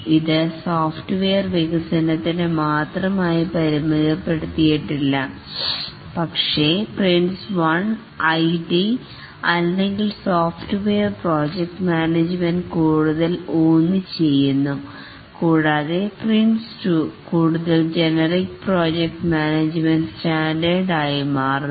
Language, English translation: Malayalam, This is not restricted to only software development, but the Prince one was more targeted to the IT or software project management and Prince 2 is become a more generic project management standard